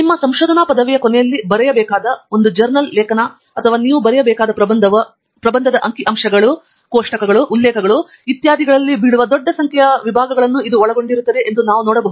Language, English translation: Kannada, We can see that a journal article that you are going to write or the thesis that you will have to write at the end of your research degree is going to contain large number of sections which will be falling in figures, tables, references, etcetera